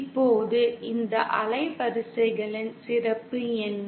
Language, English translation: Tamil, Now what is so special about this range of frequencies